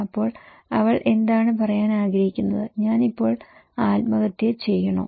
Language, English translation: Malayalam, Then, she wants to say what, should I commit suicide now